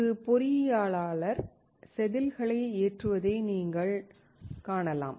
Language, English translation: Tamil, You can see that an engineer is loading the wafer